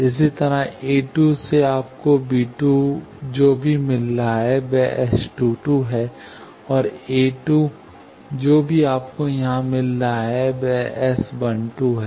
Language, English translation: Hindi, Similarly, from b 2, from a 2, you are getting whatever to b 2, that is S 2 2, and a 2, whatever you were getting here is S 1 2